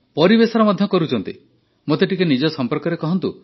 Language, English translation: Odia, And for the environment too, tell me a little about yourself